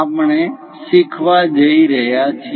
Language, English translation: Gujarati, We are going to learn